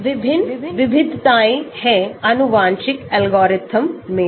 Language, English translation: Hindi, There are various variations to genetic algorithm also